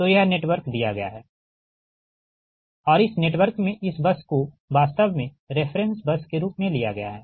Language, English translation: Hindi, so this is that network is given and in this network, this is one this bus actually has taken as say, for example, reference bus